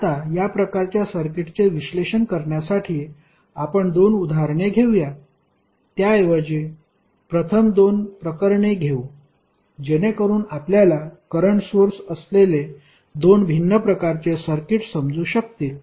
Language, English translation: Marathi, Now, to analyze these kind of two circuits let us take two examples rather let us take two cases first so that you can understand two different types of circuits containing the current sources